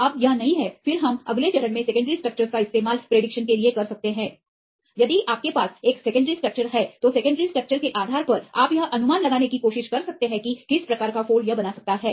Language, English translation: Hindi, Now it is no; then we go with the next step you can try to do with the secondary structure prediction, if you have a secondary structures then based on the secondary structures you can try to predict the fold which type of fold it can make right